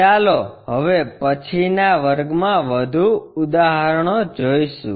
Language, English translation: Gujarati, Let us look at more problems in the next class